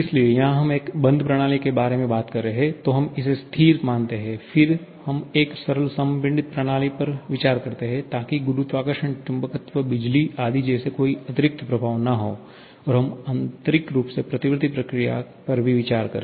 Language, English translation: Hindi, So, here we are talking about one closed system, then we consider it to be stationary, then we consider a simple compressible system so that there is no additional effect like gravity, magnetism, electricity, etc and also, we consider an internally irreversible sorry internally reversible process